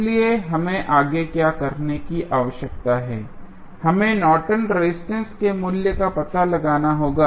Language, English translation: Hindi, So, next what we need to do, we need to just find out the value of Norton's resistance